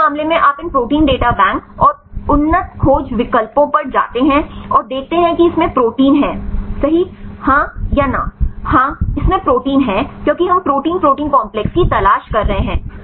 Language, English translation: Hindi, So, in this case you go to these protein data bank and the advanced search options, and see this is contains protein right yes or no its yes because we are looking for the protein protein complexes